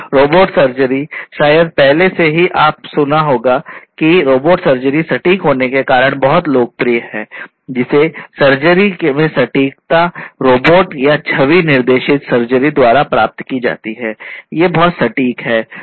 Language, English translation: Hindi, So, robotic surgery, you know, already probably you must have heard that robotic surgery is very popular because of the precision, precision in surgery that can be obtained using robotic surgery or image guided surgery, these are very precise and know